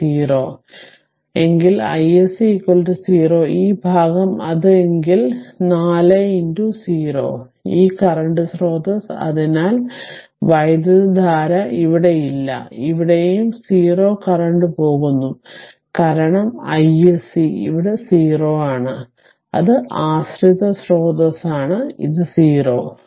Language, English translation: Malayalam, So, no current is here also here also it is going 0 current because i s c here it is 0 it is dependent source here it is 0